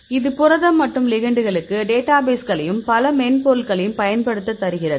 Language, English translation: Tamil, It say given the protein and database of ligands; we can use several software